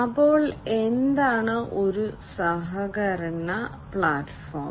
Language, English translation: Malayalam, So, what is a collaboration platform